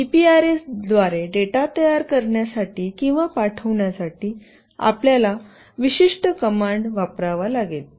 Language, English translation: Marathi, You have to use the particular command to make or send the data through GPRS